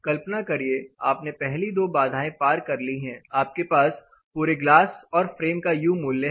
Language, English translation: Hindi, So, imagine, the next step hurdle you have crossed, you have the glass U value you also have the frame U value